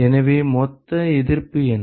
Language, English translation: Tamil, What is the total resistance